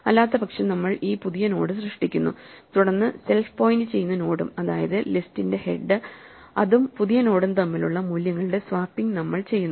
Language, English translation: Malayalam, Otherwise, we create this new node and then we do this swapping of values between the current node that self is pointing to, that is the head of the list and the new node